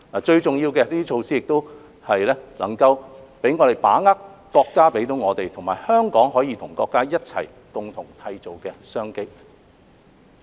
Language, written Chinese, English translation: Cantonese, 最重要的是，這些措施能讓我們把握國家給予我們，以及香港可以跟國家一起共同締造的商機。, Most importantly these measures will enable us to seize the business opportunities offered by the country and created jointly by Hong Kong and the country